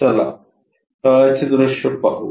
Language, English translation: Marathi, Let us look at the bottom view